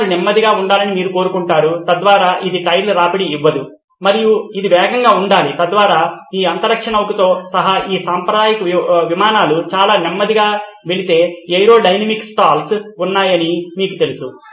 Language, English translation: Telugu, You want the wheels to be slow so that it does not wear the tyres and it has to be fast so that can land you know there is a case of aerodynamics stalls if it goes too slow these conventional aircrafts including this spaceshuttle